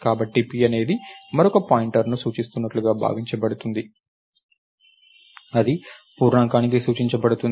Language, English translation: Telugu, So, p is supposed to be pointing to another pointer which is in turn pointing to an integer